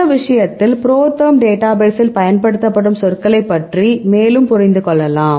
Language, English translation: Tamil, Now, in this case you can understand more about the terms used in the ProTherm database right